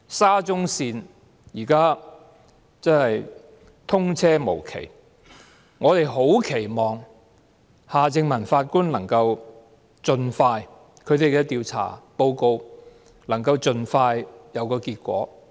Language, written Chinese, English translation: Cantonese, 沙中線現時通車無期，我們十分期望夏正民法官的調查報告能夠盡快有結果。, Given the indefinite commissioning date of SCL we very much expect that results will be available as soon as possible in the inquiry report by Mr Michael HARTMANN